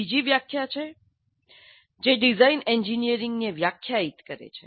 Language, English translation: Gujarati, Another definition is design defines engineering